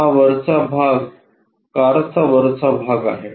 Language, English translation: Marathi, And this top portion is this top portion of the car